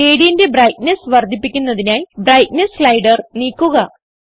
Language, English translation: Malayalam, Drag the Brightness slider, to increase the brightness of the gradient